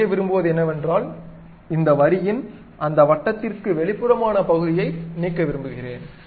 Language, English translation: Tamil, What I want to do is I would like to remove this outside part of this line which is exceeding that circle